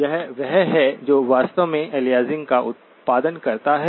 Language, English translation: Hindi, This is the one that actually produced aliasing